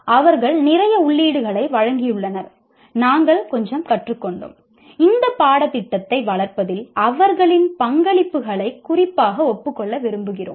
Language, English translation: Tamil, And they have given lots of their inputs and we have learned quite a bit and we would like to particularly acknowledge their contributions to in developing this course